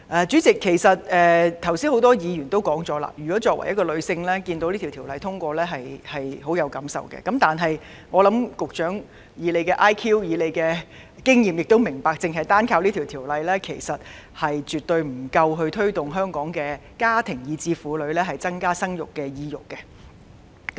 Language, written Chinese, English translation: Cantonese, 主席，剛才多位議員也曾表示，作為女性而能看見《條例草案》獲得通過，會有很深感受，但我認為，以局長的 IQ 和經驗，應該明白到，單憑《條例草案》，是絕對不足以提升香港的家庭或婦女增加生育的意欲。, President a few Members have just said that as women they would have deep feeling to be able to see the passage of the Bill but I think that given his intelligence and experience the Secretary must understand that the Bill alone is absolutely insufficient to enhance the desire of families or women in Hong Kong to have more children